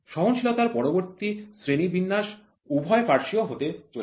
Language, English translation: Bengali, The next classification of tolerance is going to be bilateral uni bi